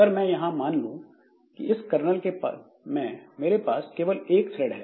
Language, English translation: Hindi, Now, suppose in this kernel I have got only one thread, okay